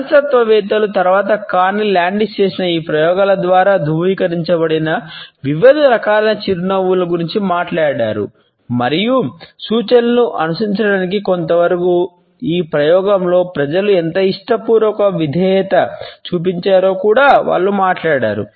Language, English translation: Telugu, Psychologists later on talked about the different types of a smiles which has been in a validated by these experiments by Carney Landis and they also talked about how willingly people had been obedient during this experiment going to certain extent in order to follow the instructions